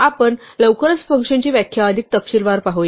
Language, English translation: Marathi, We will look at function definitions in more detail very soon